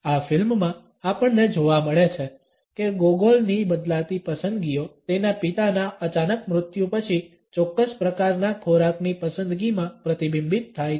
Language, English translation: Gujarati, In this movie we find that Gogol’s changing preferences are reflected in his opting for a particular type of a food after the sudden death of his father